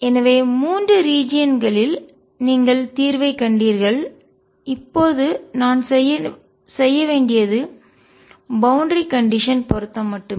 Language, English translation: Tamil, So, you found solution in 3 regions the only thing I have to now do is do the boundary condition matching